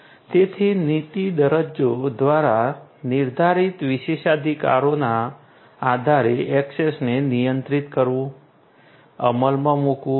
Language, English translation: Gujarati, So, controlling this access based on the privileges that are you know dictated through the policy documents those should be implemented